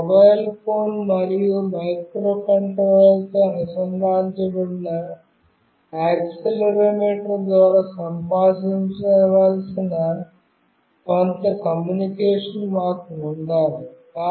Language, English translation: Telugu, We need to have some communication through which my mobile phone and the microcontroller with which it is connected with the accelerometer should communicate